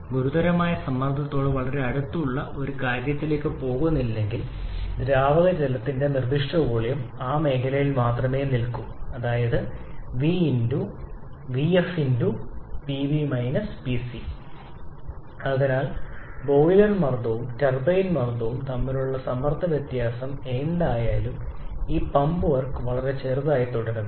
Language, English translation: Malayalam, Unless we are going to something very close to the critical pressure specific volume for liquid water will remain in that zone only I should say right V f and therefore this pump work Therefore, whatever may be the pressure difference between the boiler pressure and turbine pressure this pump work remains extremely small